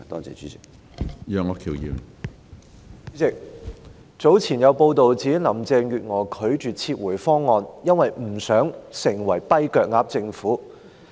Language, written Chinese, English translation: Cantonese, 主席，早前有報道指，林鄭月娥拒絕撤回《條例草案》，因為不想港府成為"跛腳鴨"政府。, President it is earlier reported in the media that Mrs Carrie LAM refused to withdraw the Bill for fear that the Hong Kong Government would become a lame duck government